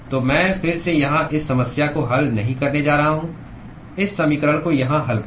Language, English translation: Hindi, So, again I am not going to solve this problem here solve this equations here